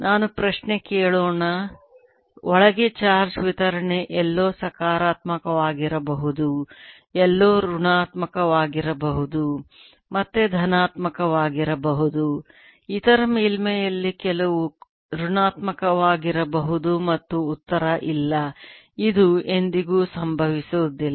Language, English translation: Kannada, let me ask question: can there be charge distribution inside may be positive somewhere and negative somewhere, positive again negative on the other surface